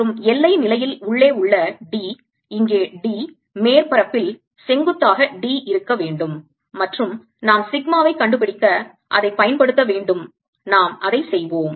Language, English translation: Tamil, alright, and the boundary condition should be that d inside should be same as d here, the d perpendicular to the surface, and we'll use that to find sigma